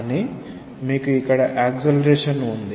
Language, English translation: Telugu, What is the acceleration